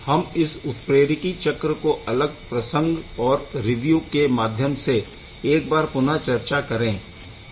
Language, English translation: Hindi, We will see the same catalytic cycle one more time in little bit different context from another review